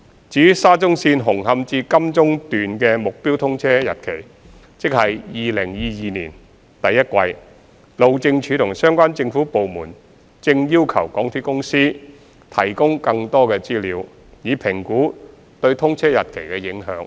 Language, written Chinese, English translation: Cantonese, 至於沙中綫紅磡至金鐘段的目標通車日期，即2022年第一季，路政署和相關政府部門正要求港鐵公司提供更多資料，以評估對通車日期的影響。, Regarding the target commissioning date for Hung Hom to Admiralty Section of the Shatin to Central Link project ie . the first quarter of 2022 HyD and other relevant government departments are requesting MTRCL to provide more information for assessing the implication on the commissioning date